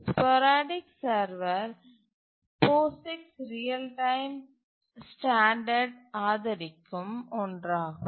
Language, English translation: Tamil, The sporadic server is the one which is supported by the POGICs real time standard